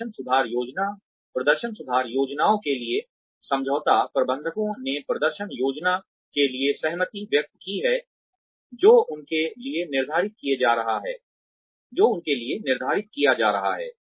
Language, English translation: Hindi, Agreement to performance improvement plans, have the managers agree to the, performance plan, that is being set for them